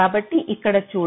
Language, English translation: Telugu, so lets see here